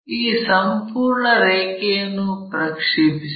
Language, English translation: Kannada, Project this entire line